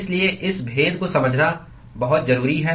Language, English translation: Hindi, So, it is very important to understand these distinctions